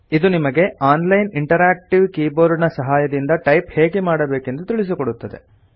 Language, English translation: Kannada, It teaches you how to type using an online interactive keyboard